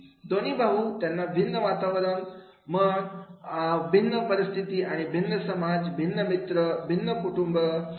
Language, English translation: Marathi, Both the brothers, they come across a different environment and different situations and different society